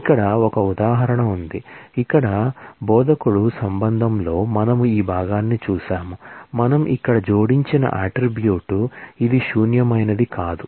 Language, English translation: Telugu, So, here is an example, in the instructor relation here, we had seen this part, the attribute what we have added here is, this not null